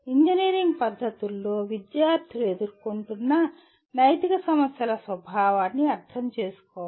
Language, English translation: Telugu, Students should understand the nature of ethical problems they face in engineering practices